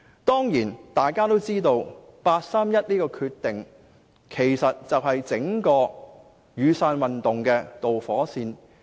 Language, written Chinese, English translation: Cantonese, 大家也知道八三一的決定，正是引發整個"雨傘運動"的導火線。, We all know that the decision made by NPCSC on 31 August 2014 is the underlying cause of the Umbrella Movement